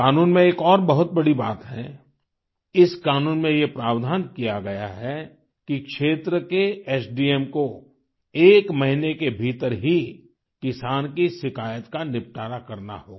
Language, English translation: Hindi, Another notable aspect of this law is that the area Sub Divisional Magistrate SDM has to ensure grievance redressal of the farmer within one month